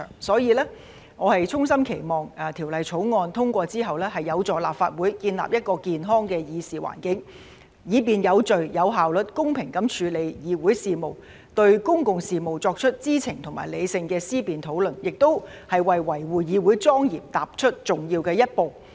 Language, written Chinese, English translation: Cantonese, 所以，我衷心期望《條例草案》通過後，有助立法會建立一個健康的議事環境，以便有序、有效率、公平地處理議會事務，對公共事務作出知情和理性的思辨討論，也為維護議會莊嚴踏出重要的一步。, Therefore I sincerely hope that upon the passage of the Bill it will help the Legislative Council create a sound environment for deliberation so as to facilitate the orderly efficient and fair conduct of Council business as well as informed and rational intellectual analysis and discussion on public affairs . It will also be an important step towards safeguarding the solemnity of the Council